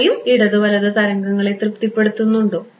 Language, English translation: Malayalam, Do they also satisfied both left and right wave